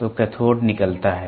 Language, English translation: Hindi, So, cathode emits